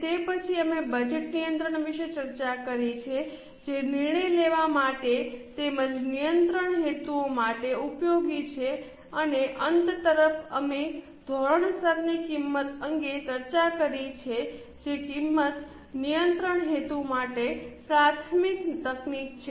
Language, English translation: Gujarati, After that we have discussed the budgetary control which is useful for decision making as well as control purposes and towards the end we have discussed standard costing which is a primary technique for cost control purposes